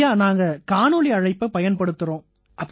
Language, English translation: Tamil, Yes, we use Video Call